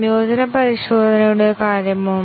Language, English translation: Malayalam, What about integration testing